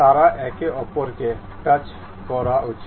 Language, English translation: Bengali, They should touch each other